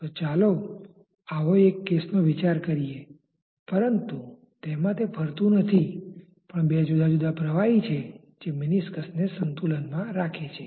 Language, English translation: Gujarati, So, let us consider such a case, but not a moving case, but two different liquids which are keeping meniscus in equilibrium